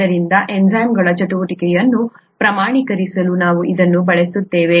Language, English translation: Kannada, So, this is what we use to quantify the activity of enzymes